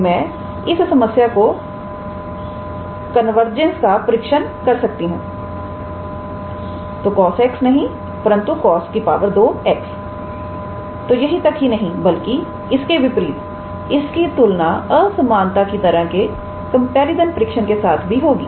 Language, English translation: Hindi, So, we can test the convergence of this problem so, not the cos x, but cos square x so, that it is rather more how to say then in contrast with the comparison test of inequality type